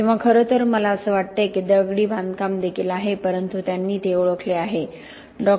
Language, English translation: Marathi, Or in fact I think contains masonry as well but they have recognized that